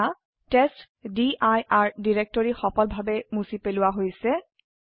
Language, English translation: Assamese, Now the testdir directory has been successfully deleted